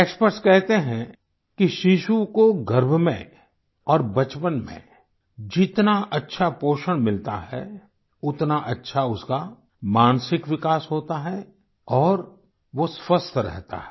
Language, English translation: Hindi, Experts are of the opinion that the better nutrition a child imbibes in the womb and during childhood, greater is the mental development and he/she remains healthy